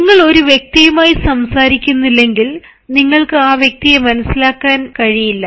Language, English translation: Malayalam, if you do not talk to a person, you are unable to understand the person